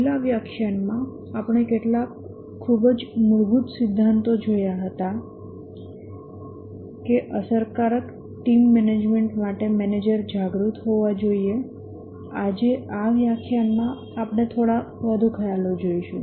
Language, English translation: Gujarati, In the last lecture, we had seen some very basic theories that the manager must be aware for effective team management